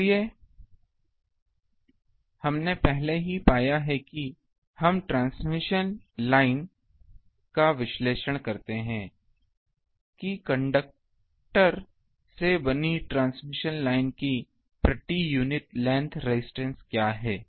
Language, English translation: Hindi, So, that we already have found where we analyze transmission lines, that what is the per unit length resistance of a transmission line made of conductors